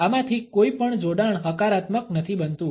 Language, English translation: Gujarati, None of these associations happens to be a positive one